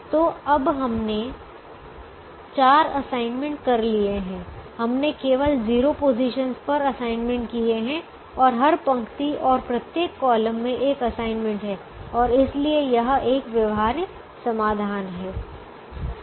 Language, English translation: Hindi, we have made assignments only in the zero positions and every row and every column has one assignment and therefore this is a feasible solution